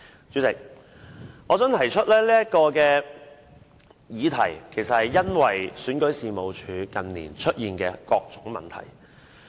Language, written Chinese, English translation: Cantonese, 主席，我提出這項議題，是因為選舉事務處近年出現的各種問題。, Chairman I move this amendment because of the various problems with REO in recent years